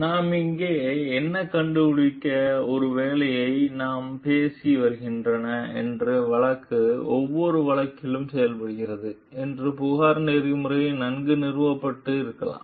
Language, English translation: Tamil, So, what we find over here like maybe the case that we have been talking of is the complaint that is made in every case may not be ethically well founded